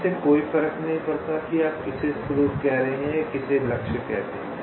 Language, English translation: Hindi, ok, so it does not matter which one you are calling a source and which one you calling as target